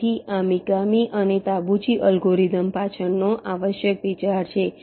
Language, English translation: Gujarati, so the first step is same as in mikami and tabuchi algorithm